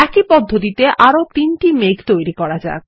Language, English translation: Bengali, Let us create one more cloud in the same manner